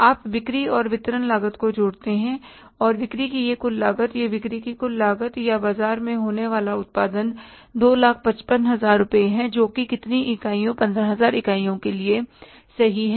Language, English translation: Hindi, You add up the selling and distribution cost and this total cost of sales, this becomes the total cost of sales or the production going to the market is 255,000 rupees